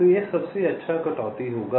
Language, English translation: Hindi, so this will be the best cut